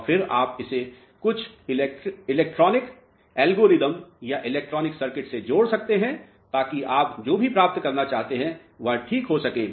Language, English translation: Hindi, And, then you can connect it to some electronic algorithm or electronic circuit to achieve whatever you want to achieve alright